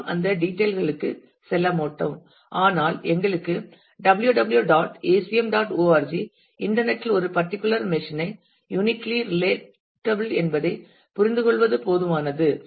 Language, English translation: Tamil, And we will not go into those details, but for us it is enough to understand that www [dot] acm [dot] org here is uniquely relatable to a particular machine on the internet